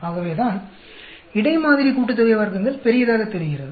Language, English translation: Tamil, So, that the between sample sum of squares look large